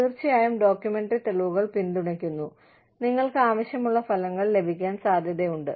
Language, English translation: Malayalam, Of course, documentary evidences supporting is, likely to get you the results, that you need